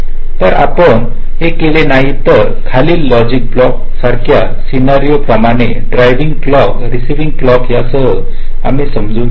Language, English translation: Marathi, so if you do not do it, then the following logic block, like a same kind of scenario: driving clock, receiving clock